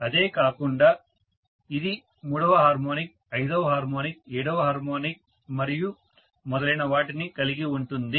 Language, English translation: Telugu, Apart from that it will have third harmonic, fifth harmonic, seventh harmonic and so on and so forth